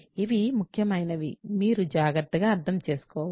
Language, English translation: Telugu, So, these are important for you to understand carefully